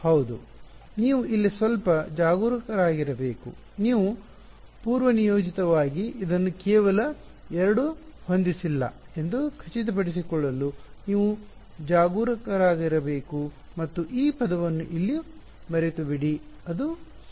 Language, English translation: Kannada, Yeah so, you have to be a little bit careful over here you should be careful to make sure that you do not by default set this just 2 and forget this term over here it matters ok